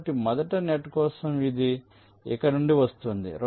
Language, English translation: Telugu, so for the first net, it is coming from here, it is going here